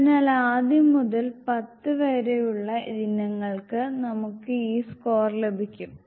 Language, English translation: Malayalam, So, for the first to 10 item, we will be having this score